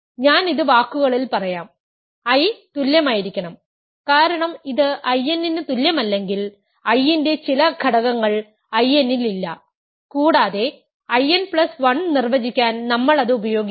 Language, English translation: Malayalam, I will just say this in words, I must equal in because if it is not equal to I n, there is some element of I that is not in I n and we use that to define I n plus 1